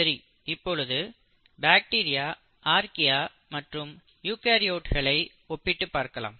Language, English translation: Tamil, So let us look at the comparison against bacteria, Archaea and eukaryotes